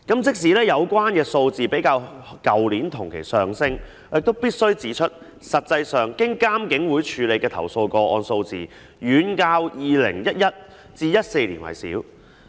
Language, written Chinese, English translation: Cantonese, 即使有關數字較去年同期上升，但我必須指出，實際上經監警會處理的投訴個案數字遠較2011年至2014年為少。, Despite a greater number compared to that of the same period last year I must point out that the number of complaints handled by IPCC was way smaller than that between 2011 and 2014